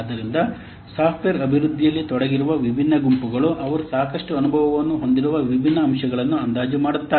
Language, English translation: Kannada, So, different groups involved in the software development, they will estimate different components for which it has adequate experience